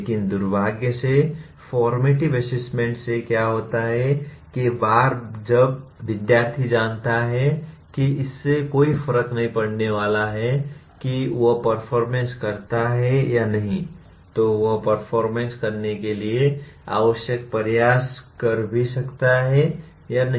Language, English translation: Hindi, But unfortunately what happens formative assessment once the student knows that it is not going to make a difference whether he performs or not in that he may or may not put the required effort to perform